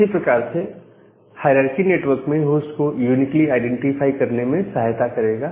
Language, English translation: Hindi, Similarly, this hierarchical way will help into uniquely identify a host in a network